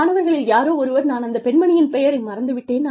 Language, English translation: Tamil, Somebody, one of the students, I forget, this lady's name